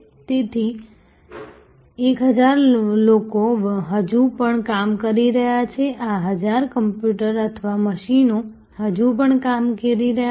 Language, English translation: Gujarati, So, the 1000 of people are still working these 1000 of computers or machines are still working